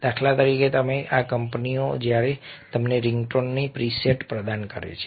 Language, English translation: Gujarati, for instance, these companies when they provide you with the preset of ringtones